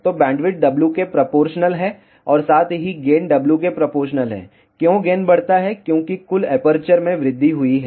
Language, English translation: Hindi, So, bandwidth is proportional to W as well as gain is proportional to W, why gain increases, because total aperture has increased